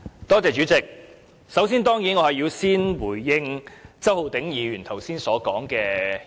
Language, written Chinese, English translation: Cantonese, 主席，我首先當然要回應周浩鼎議員剛才的發言。, Chairman first of all I certainly have to respond to Mr Holden CHOWs remarks earlier on